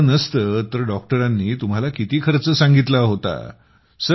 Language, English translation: Marathi, If there was no card, how much cost did the doctor say earlier